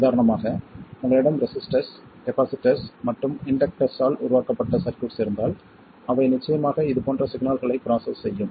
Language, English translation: Tamil, For instance if you have circuits that are made of resistors capacitors and inductors they will of course process signals like this signals that are defined for every instant of time and can take on any value